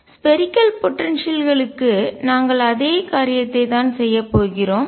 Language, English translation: Tamil, We are going to do exactly the same thing for spherical potentials